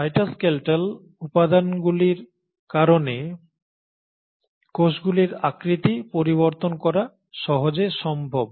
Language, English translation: Bengali, So it is possible easily because of the cytoskeletal elements for the cells to change their shape